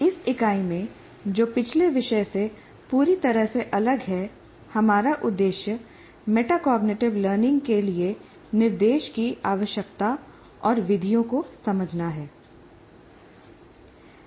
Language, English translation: Hindi, Now in this unit, which is very completely different from the previous topic, we aim at understanding the need for and methods of instruction for metacognitive learning